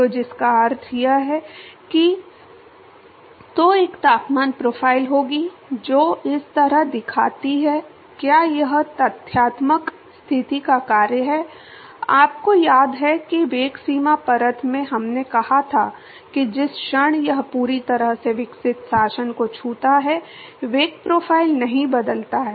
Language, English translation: Hindi, So, which means that, so there will be a temperature profile which looks like this, is this is the function of factual position, you remember in velocity boundary layer we said moment it touches the fully developed regime the velocity profile does not change